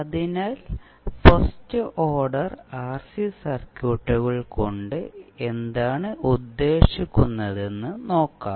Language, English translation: Malayalam, So, let us see what do you mean by first order RC circuits